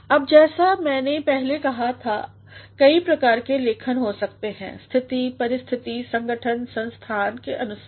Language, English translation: Hindi, Now there can be as I said earlier, different sorts of writing depending upon the situation, circumstances, organizations and institutions